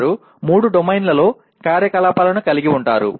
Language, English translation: Telugu, They will have activities in all the three domains